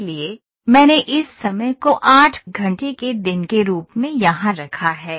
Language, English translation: Hindi, So, I have put this time as an 8 hour day here ok